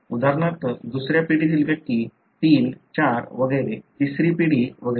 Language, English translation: Marathi, Like for example second generation individual 3, 4 and so on; third generation and so on